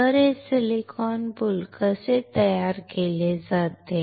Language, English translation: Marathi, So, how this silicon boule is manufactured